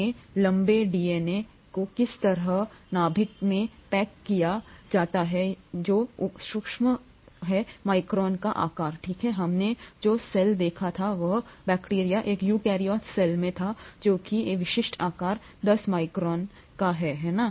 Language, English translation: Hindi, The 2 metres long DNA is somehow packed into the nucleus which is sub sub micron sized, okay, the cell itself we saw was the the in a eukaryotic cell that is a typical size is 10 micron, right